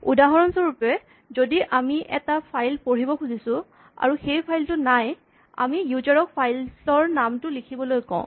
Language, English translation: Assamese, If for instance we are trying to read a file and the file does not exist perhaps we had asked the user to type a file name